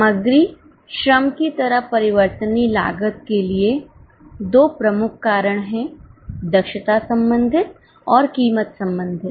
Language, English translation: Hindi, For variable costs like material labor, there are two major causes, efficiency related and price related